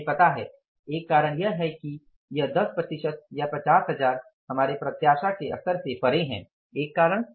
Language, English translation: Hindi, One reason is that it is beyond our level of anticipation of 10% or 50,000s, one reason